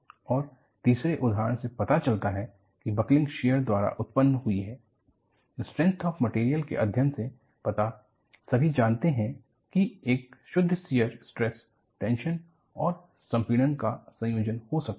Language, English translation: Hindi, And, the third example shows, buckling is precipitated by shear and from your strength of materials, you all know, a pure shear state can be thought of as combination of tension and compression